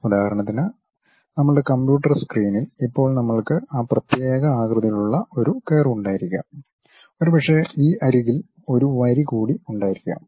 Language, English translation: Malayalam, For example, on our computer screen right now we might be having a curve of that particular shape, and perhaps there is one more line on this edge